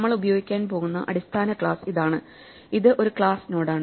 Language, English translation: Malayalam, Here is the basic class that we are going to use, it is a class node